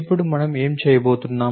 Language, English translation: Telugu, So, what are we doing now